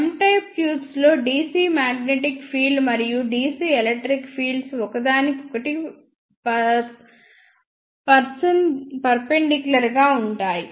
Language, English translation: Telugu, In M type tubes ah DC magnetic field and the DC electric fields are perpendicular to each other as shown by this figure